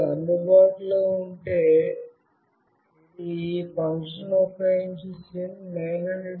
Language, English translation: Telugu, If it is available, it is reading SIM900A